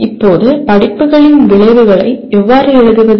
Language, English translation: Tamil, Now how do we write the outcomes of courses